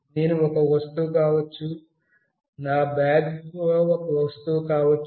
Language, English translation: Telugu, I could be an object, my bag could be an object